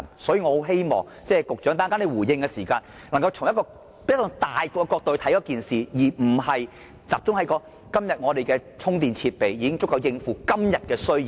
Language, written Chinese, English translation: Cantonese, 所以，我十分希望局長稍後回應時，能夠從宏觀角度考慮這件事，而不是集中說今天的充電設備已經足夠應付今天的需要。, Therefore I hope that the Secretary would consider the issue from a broader perspective when he responded later rather than focusing on the point that the charging facilities today are adequate to cope with the current demand